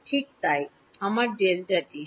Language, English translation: Bengali, Right so I have delta t